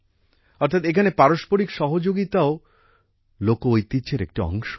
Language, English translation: Bengali, That is, mutual cooperation here is also a part of folk tradition